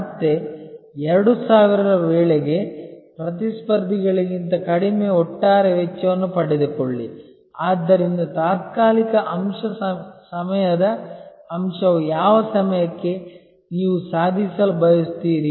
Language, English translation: Kannada, Attain lower overall cost than rivals by again 2000, so there is a temporal aspect time aspect by which time, what you would like to achieve